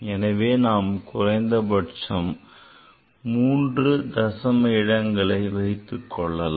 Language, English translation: Tamil, So, after decimal 3 up to 3 digit we can keep